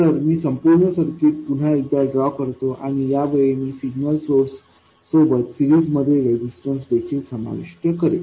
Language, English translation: Marathi, So, I will redraw the whole circuit and this time I will also include the resistance in series with the signal source